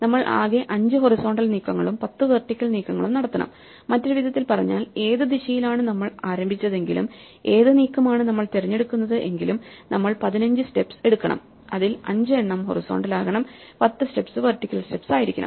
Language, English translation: Malayalam, So, we have to make a total number of 5 horizontal moves and 10 vertical moves, in other words every path no matter which direction we started and which move, which choice of moves we make must make 15 steps and of these 5 must be horizontal steps and 10 must be vertical steps, because they all take us from (0, 0) to (5, 10)